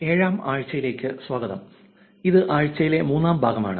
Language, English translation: Malayalam, Welcome back to week 7 and this is the third part of the week 7